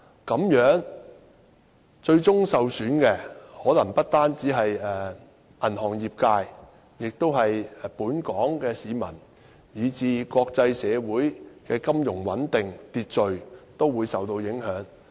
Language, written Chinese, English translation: Cantonese, 這樣最終受損的，可能不單是銀行業界，也是本港市民，而國際社會的金融穩定和秩序亦會受到影響。, It follows that eventually the harm will befall not only the banking industry but also the people of Hong Kong; and the financial stability and order of the international community will also be affected